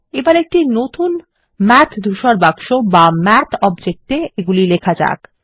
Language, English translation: Bengali, Let us write these in a fresh Math gray box or Math object